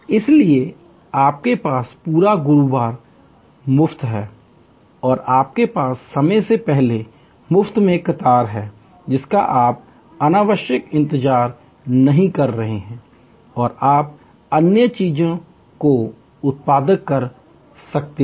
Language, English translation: Hindi, So, you have the whole of Thursday free and you have time free before the queue you are not unnecessarily waiting, you can do other things productive